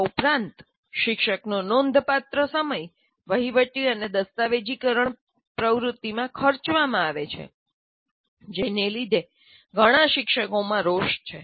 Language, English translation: Gujarati, And besides this, considerable amount of the teachers time, about 30% is spent in administration and documentation activity, which many teachers resent